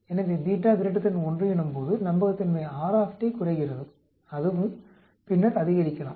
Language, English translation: Tamil, So beta is greater than 1, the reliability R T decreases and then it can also increase